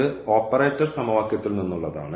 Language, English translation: Malayalam, This is from just from the operator equation